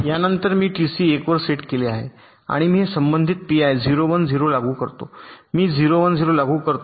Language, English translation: Marathi, after this i set t c to one and i apply this corresponding p i zero, one zero, i apply zero, one zero